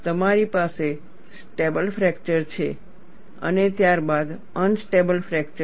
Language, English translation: Gujarati, You have a stable fracture, followed by unstable fracture